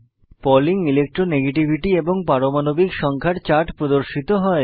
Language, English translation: Bengali, A chart of Pauling Electro negativity versus Atomic number is displayed